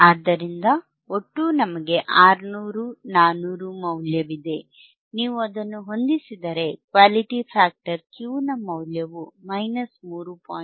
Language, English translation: Kannada, So, total is, we have the value 600, 400; when you substitute, we get the value of Quality factor Q equals to minus 3